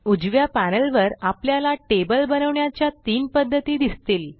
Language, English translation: Marathi, On the right panel, we see three ways of creating a table